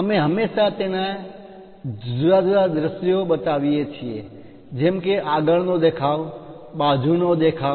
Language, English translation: Gujarati, We always show its different views like frontal view and side views